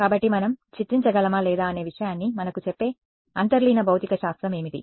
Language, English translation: Telugu, So, what is the sort of underlying physics that tells us whether or not we can image